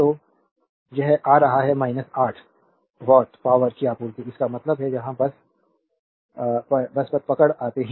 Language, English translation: Hindi, So, it is coming minus 8 watt supplied power; that means, here you come just hold on